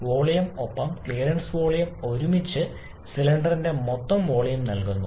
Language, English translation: Malayalam, So, volume and clearance volume together give the total volume of the cylinder